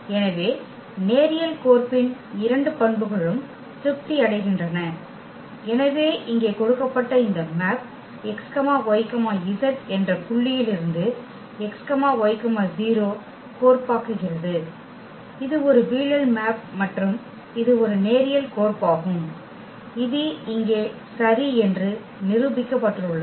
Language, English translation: Tamil, So, both the properties of the linear map a satisfied are satisfied and therefore, this given map here which maps the point x y z to x y 0; it is a projection map and that is linear map which we have just proved here ok